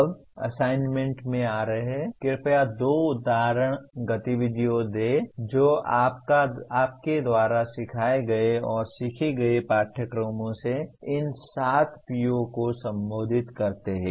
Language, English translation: Hindi, Now coming to the assignments, please give two example activities each that address these 7 POs from the courses you taught and learnt